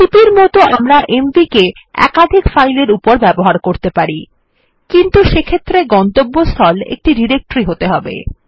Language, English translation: Bengali, Like cp we can use mv with multiple files but in that case the destination should be a directory